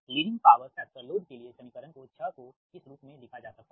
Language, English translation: Hindi, leading for leading power factor, load equation six can be written as so as a leading power factor